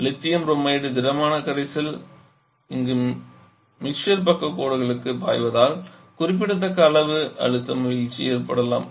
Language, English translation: Tamil, There any pressure drop is the solid solution of lithium bromide is flowing to this mixer sidelines there can be significant amount of pressure drop